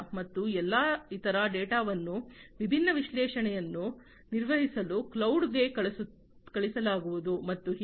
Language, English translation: Kannada, And all the other data are going to be sent to the cloud for performing different analytics and so on at the cloud